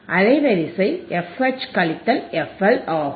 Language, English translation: Tamil, Bandwidth is f H into my f H minus f L